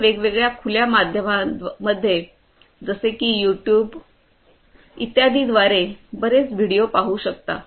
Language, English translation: Marathi, You could try it out in different open media such as YouTube etc